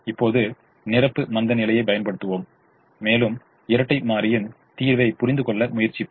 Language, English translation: Tamil, now let's apply the complimentary slackness and try to understand the dual solution